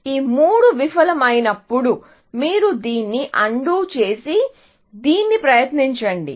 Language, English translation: Telugu, When all these three fail, then you undo this and try this